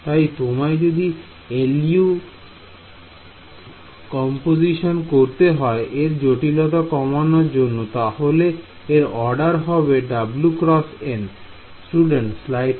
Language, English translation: Bengali, So, if you were to do l u decomposition to solve this complexity is simply order w times n